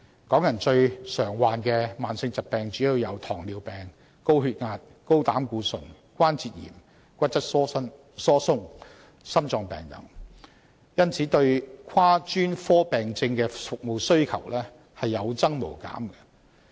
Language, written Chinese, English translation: Cantonese, 港人最常患上的慢性疾病主要有糖尿病、高血壓、高膽固醇、關節炎、骨質疏鬆、心臟病等，因而對跨專科病症的服務需求有增無減。, The most common chronic diseases among Hong Kong people mainly include diabetes hypertension high cholesterol arthritis osteoporosis and heart disease . For this reason cross - specialist service demand is ever - increasing